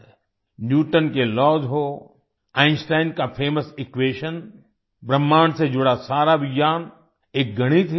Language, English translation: Hindi, Be it Newton's laws, Einstein's famous equation, all the science related to the universe is mathematics